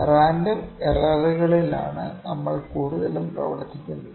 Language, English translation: Malayalam, So, this is the kind of a random error